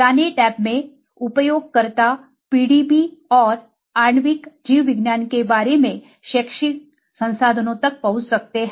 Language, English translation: Hindi, In the learn tab, users can access educational resources about PDB and molecular biology